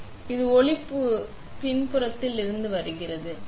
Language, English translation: Tamil, So, now, the light is coming from the backside